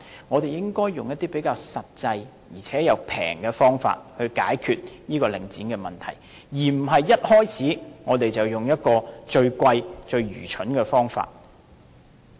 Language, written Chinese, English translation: Cantonese, 我們應該採用一些比較實際，而且又便宜的方法來解決領展的問題，而不是一開始便用最昂貴、最愚蠢的方法。, We should solve the problem concerning Link REIT in more practical less expensive ways rather than adopting the most expensive most foolish way right at the beginning